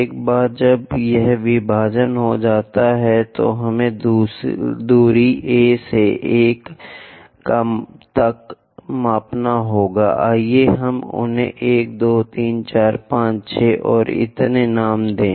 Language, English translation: Hindi, Once this division is done, we have to measure distance A to 1, let us name them as 1, 2, 3, 4, 5, 6 and so on